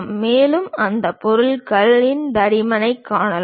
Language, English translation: Tamil, And the thickness of that material can be clearly seen